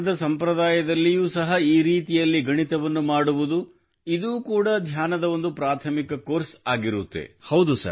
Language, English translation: Kannada, Even in the tradition of dhyan, doing mathematics in this way is also a primary course of meditation